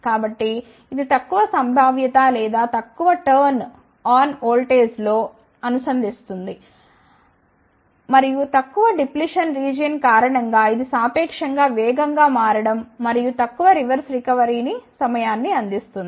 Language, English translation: Telugu, So, this is provides relatively low built in potential or low turn on voltage, and due to the less depletion region, it provides relatively faster switching and less reverse recovery time